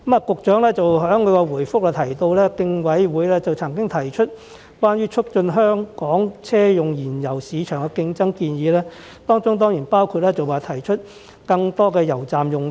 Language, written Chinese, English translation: Cantonese, 局長在主體答覆中表示，競委會曾經提出關於促進香港車用燃油市場競爭的建議，當中包括推出更多油站用地。, The Secretary has said in the main reply that the Commission has put forth recommendations to enhance competition in Hong Kongs auto - fuel market including putting up more PFS sites